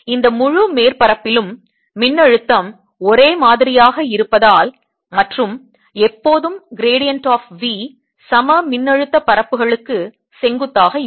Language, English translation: Tamil, the potential is the same on this entire surface and gradient is always gradient of b is perpendicular to equipotential surfaces